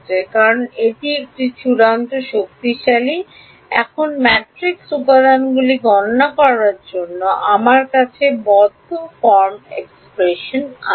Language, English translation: Bengali, And the reason this is extremely powerful is now I have a closed form expression for calculating the matrix elements